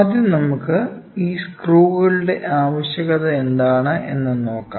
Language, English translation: Malayalam, First we should understand, what is the necessity for these screws